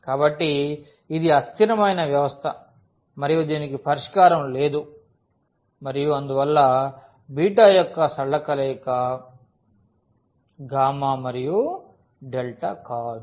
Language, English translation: Telugu, So, this is a inconsistent system and it has no solution and therefore, beta is not a linear combination of gamma and delta